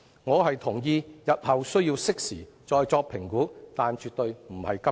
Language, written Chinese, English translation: Cantonese, 我同意日後需要適時再作評估，但絕對不是今天。, I agree that an assessment has to be made in due course but definitely not today